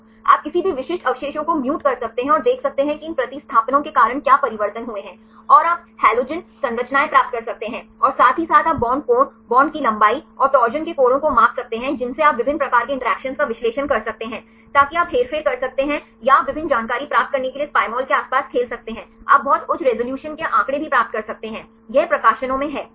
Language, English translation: Hindi, You can mutate any specific residue and see what is the changes because of these substitutions and you can get the halogen structures and also you can get measure the bond angle, bond length and the torsion angles you can under analyze various types of interactions, that you can manipulate or you can play around this Pymol to get various information; you can also get very high resolution figures right this is acceptable in publications right